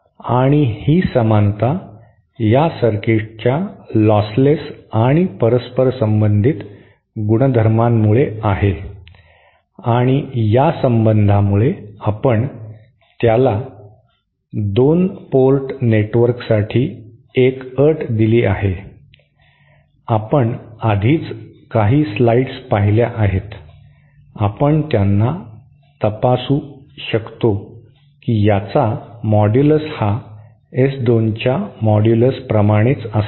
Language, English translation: Marathi, And this similarity is because of this the lostless and reciprocal nature of this circuit and due to the relationship that we had give it a condition for 2 port network just we that had derived earlier a few slides early you can verify them that this modulus of this will be same as the modulus of S 2